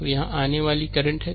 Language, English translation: Hindi, So, it is your incoming current